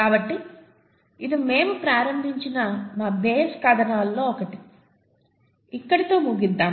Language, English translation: Telugu, So this is this is one of our base stories with which we started out, so let’s finish up there